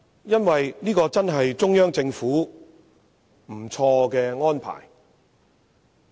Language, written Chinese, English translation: Cantonese, 因為這確是中央政府一個很不錯的安排。, It is because this arrangement of the Central Government is not bad at all